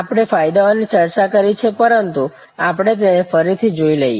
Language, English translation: Gujarati, The advantages we have discussed, but we can again look at it